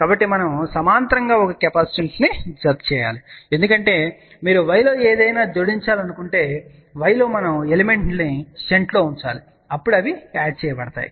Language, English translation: Telugu, So, we have to add a capacitance in parallel because anything you want to add in y, in y we have to put the elements in shunt, then they get added